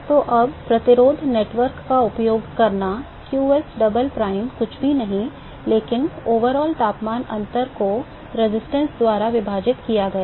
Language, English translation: Hindi, So, now, using the resistance network qsdouble prime is nothing, but the overall temperature difference divided by the resistance right